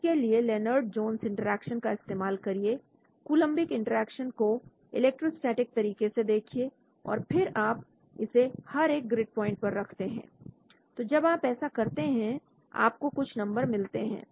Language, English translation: Hindi, Use the Lennard Jones interaction, electrostatically look at the Coulombic interaction right and then you place it at each grid point when you do that you get some numbers, once you get these numbers what do you do